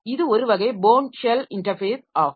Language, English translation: Tamil, So, this is a bone shell type of interface